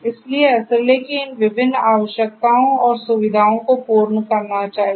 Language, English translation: Hindi, So, SLA should be there catering to these different requirements and the features